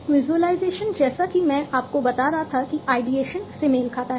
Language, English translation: Hindi, Visualization as I was telling you corresponds to the ideation